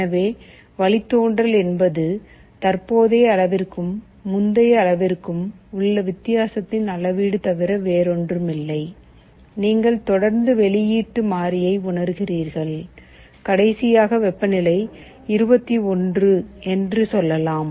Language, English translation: Tamil, So, derivative is nothing but a measure of the difference between the current measure and the previous measure, you continuously sense the output variable, you saw that last time the temperature was let us say 21 now it is 23